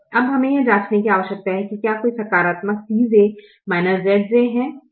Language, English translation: Hindi, now we need to check whether there is any positive c j minus z j